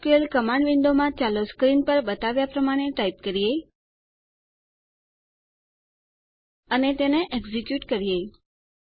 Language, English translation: Gujarati, In the SQL command window, let us type as shown in the screen: And execute it